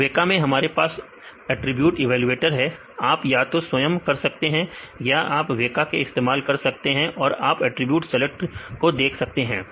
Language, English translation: Hindi, So, in weka also we have the attribute evaluator we can manually do that or you can use the weka you can see the attribute select